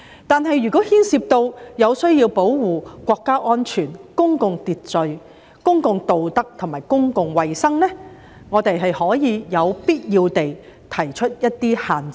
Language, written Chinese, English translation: Cantonese, 但是，如牽涉需要保護國家安全、公共秩序、公共道德和公共衞生，也可有必要地提出一些限制。, However such a right may be subject to restrictions provided by law when these are necessary to protect national security public order public morality and public health